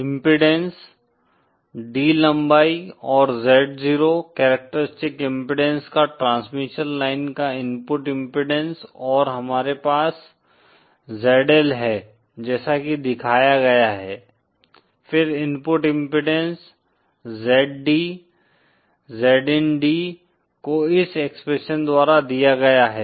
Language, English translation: Hindi, The impedance, the input impedance of a transmission line of length D, having characteristic impedance Z 0 and say we have a load ZL connected as shown, then the input impedance Z D, Z in D is given by this expression